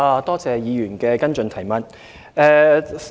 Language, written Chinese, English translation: Cantonese, 多謝議員的補充質詢。, I thank the Member for the supplementary question